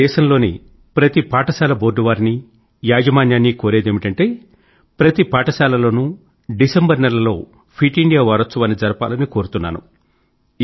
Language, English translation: Telugu, I appeal to the school boards and management of all the states of the country that Fit India Week should be celebrated in every school, in the month of December